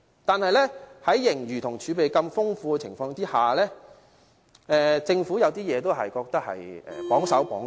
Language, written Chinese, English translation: Cantonese, 但是，儘管盈餘和儲備如此豐富，我覺得政府有時做事仍是有點"綁手綁腳"。, Nevertheless given the bountiful surplus and reserves I find that the Government sometimes still has its hands tied